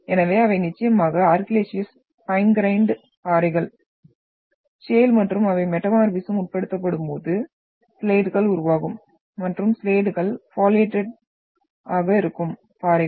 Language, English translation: Tamil, So they are definitely argillaceous fine grained rocks, shale and when they are subjected to metamorphism, they will result into the formation of slates and slates are foliated rocks